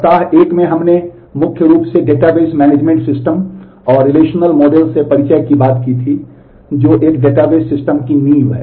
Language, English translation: Hindi, In the week 1, we talked primarily of Introduction to Database Management System and the Relational Model which is the foundation of a database system